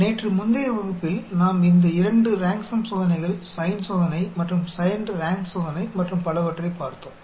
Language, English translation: Tamil, Yesterday in the previous class we looked at these two rank sum test, sign test and signed rank test and so on